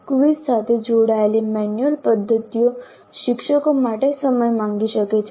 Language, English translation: Gujarati, The manual methods associated with quizzes can be time consuming to teachers